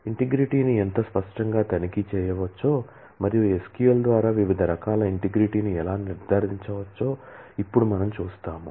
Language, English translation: Telugu, We will now see how explicitly integrity can be checked and how different kinds of integrity can be ensured through SQL